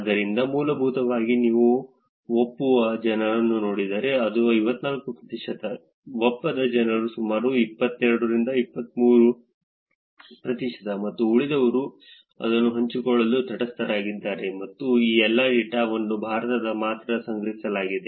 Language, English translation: Kannada, So, essentially if you look at just the people who are agreeing, it is 54 percent, people who are disagreeing is about 22 23 percent and rest are in neutral that just to share that and all of this data was collected only in India